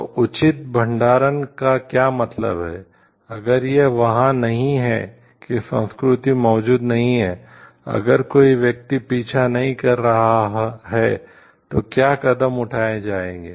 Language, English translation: Hindi, So, proper what means proper storage, what means proper control, what if somewhere it is not that culture is not there, what if some person is not following, then what are the steps to be taken for that